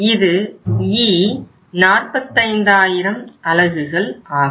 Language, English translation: Tamil, This is 1500 units